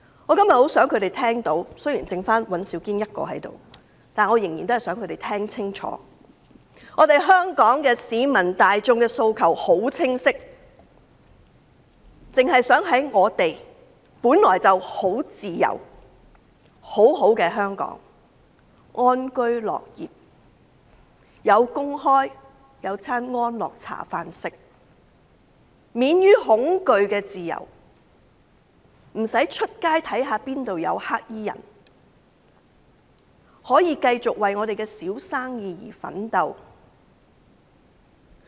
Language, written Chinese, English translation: Cantonese, 我今天很想他們聽清楚——雖然現在只剩下尹兆堅議員一人在席——香港市民大眾的訴求很清晰，我們只想在本來很自由、美好的香港安居樂業，能夠有工作、有安樂茶飯，以及有免於恐懼的自由，在街上不用擔心哪裏會有黑衣人，亦可以繼續為自己的小生意奮鬥。, Today I very much hope that they will listen carefully―though only Mr Andrew WAN is present now―the aspirations of the masses in Hong Kong are quite clear . We just wish to live in peace and work with contentment in Hong Kong which used to be free with bright prospects . We wish to have a job lead a contented life and enjoy freedom from fear